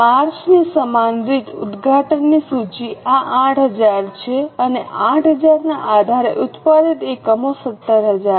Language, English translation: Gujarati, Same way for March the opening inventory is this that is 8,000 and based on 8,000 the units produced are 17,000